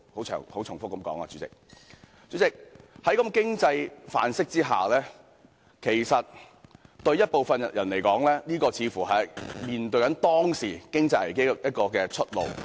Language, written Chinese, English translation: Cantonese, 主席，在這種經濟範式下，其實對部分人來說，這似乎是面對當時經濟危機的出路。, President under such an economic paradigm actually to some people it seemed to be a way out in the face of the economic crisis back then